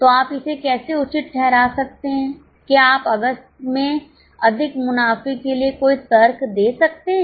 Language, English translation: Hindi, Can you give any reasoning for more profits in August